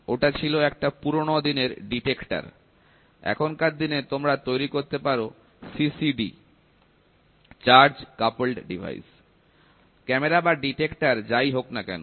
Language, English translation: Bengali, That was earlier detector or nowadays you can make it as CCD , camera or detector whatever it is